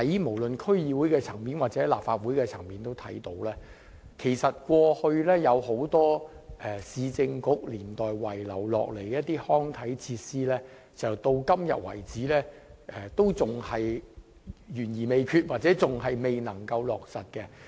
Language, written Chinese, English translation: Cantonese, 無論在區議會或立法會也看到，過去有很多兩個市政局年代遺留下來的康體設施工程計劃，至今仍然懸而未決或未能落實。, In District Councils or the Legislative Council we can find many undecided or unimplemented works projects on recreation and sports facilities that are left behind by the two Municipal Councils